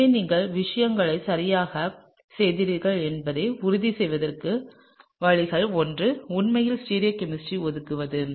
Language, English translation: Tamil, So, one of the ways to make sure that you are doing things correctly is to actually sort of assign the stereochemistry